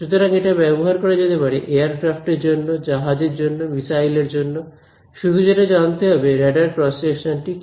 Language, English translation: Bengali, So, this can be used for aircraft, ships any other such play missiles where it is needed to know: what is the radar cross section